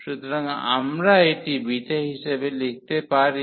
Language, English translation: Bengali, So, we can write down this as the beta